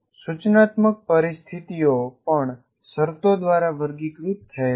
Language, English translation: Gujarati, And then instructional situations are also characterized by conditions